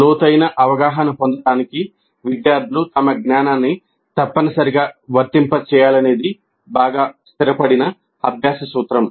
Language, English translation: Telugu, So this is a well established principle of learning that the students must apply their knowledge in order to really get a deep understanding